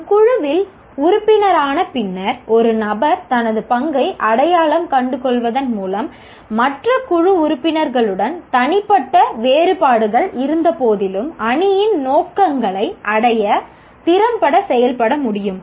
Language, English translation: Tamil, And an individual after becoming a member of a team and identifying his or her role should be able to work effectively to achieve the team's objectives in spite of personal differences with other team members